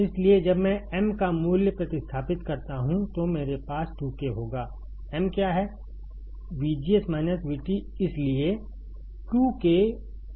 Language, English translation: Hindi, So, when I substitute value of m, I will have 2 K; m is what